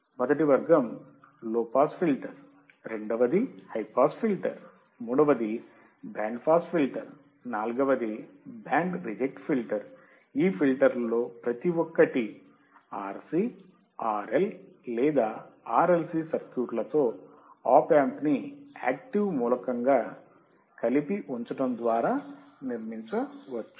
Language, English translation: Telugu, The first category is low pass filter, second one is high pass filter, third one is band pass filter, fourth one is band reject filter; Each of these filters can be build by using opamp as the active element combined with RC, RL, or RLC circuit